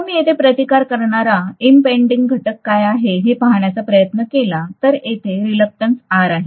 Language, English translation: Marathi, Now if I try to look at what is the impeding factor here that is resistance whereas here it is going to be reluctance, right